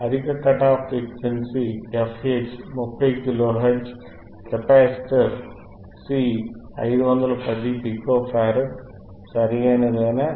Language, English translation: Telugu, Higher cut off frequency f H, is 30 kilo hertz, capacitor C is 510 pico farad, right